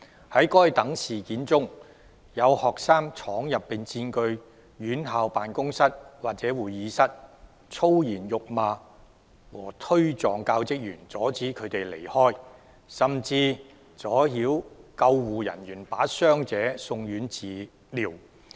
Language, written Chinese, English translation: Cantonese, 在該等事件中，有學生闖入並佔據院校辦公室或會議室、粗言辱罵和推撞教職員、阻止他們離開，甚至阻撓救護人員把傷者送院治療。, In those incidents some students broke into and occupied offices or conference rooms of the institutions concerned swearing at and jostling teaching staff barring them from leaving and even obstructing ambulance personnel from sending the injured to the hospital for treatment